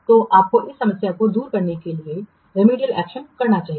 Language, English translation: Hindi, So, we should take remedial action to overcome this problem